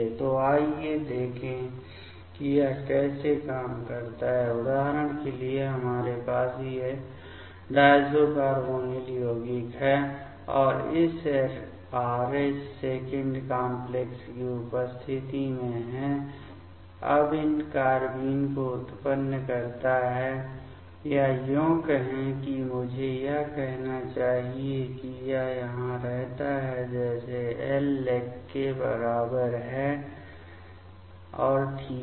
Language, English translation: Hindi, So, let us see how it works; as per example we have these diazo carbonyl compound and in presence of this Rh complex; it generate these carbenes or rather I should say that it stays like here L equals to legand ok